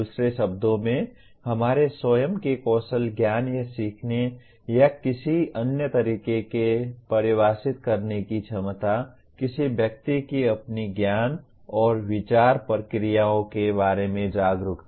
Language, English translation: Hindi, In other words, the ability to assess our own skills, knowledge, or learning or another way defined, a person’s awareness of his or her own level of knowledge and thought processes